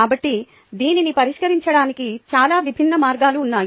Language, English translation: Telugu, so there are very many different ways of addressing this